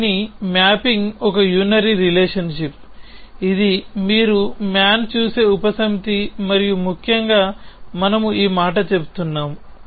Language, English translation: Telugu, The mapping of this is a unary relation this is a subset you see call man I and essentially we are saying this